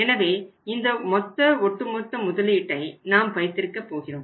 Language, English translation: Tamil, So, this is the total level of the cumulative investment we are going to make here